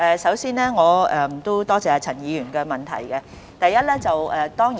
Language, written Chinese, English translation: Cantonese, 首先，我多謝陳議員的補充質詢。, First of all I thank Dr CHAN for his supplementary question